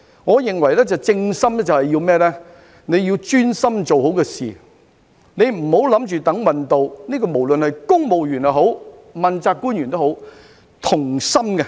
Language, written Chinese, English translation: Cantonese, 我認為"正心"便是要專心把事情做好，不要等運氣到，無論是公務員或問責官員都要同心。, In my opinion to rectify our hearts means to concentrate on getting the job done and not to wait for luck to come our way . Both civil servants and accountability officials should work as one